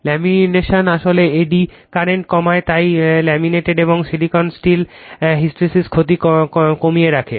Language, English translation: Bengali, The laminations reducing actually eddy current that is why laminated and the silicon steel keeping hysteresis loss to a minimum, right